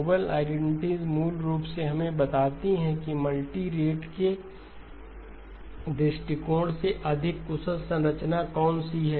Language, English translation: Hindi, The noble identities basically tell us which is the more efficient structure from a multi rate viewpoint